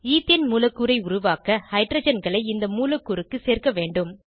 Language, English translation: Tamil, We have to add hydrogens to this molecule to create an ethane molecule